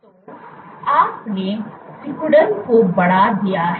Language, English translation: Hindi, So, you have increased contractility